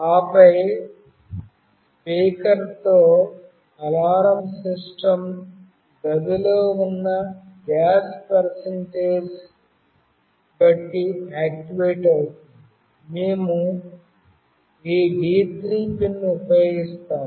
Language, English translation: Telugu, And then with the speaker the alarm system when it will get activated depending on the percentage of gas present in the in a room; we use this D3 pin